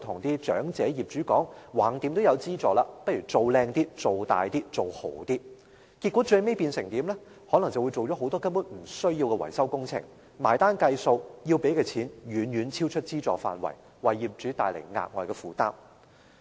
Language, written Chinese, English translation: Cantonese, 結果，業主可能就會同意進行很多不必要的維修工程，最後到結帳的時候才發覺，需要支付的金額遠遠超出資助額，為業主帶來額外負擔。, Some property owners may hence agree to conduct a good number of unnecessary maintenance works under such persuasion . It is only when the property owner pays the bill does he or she realize that the total cost of the works which is actually much bigger than the amount of subsidy given becomes an additional burden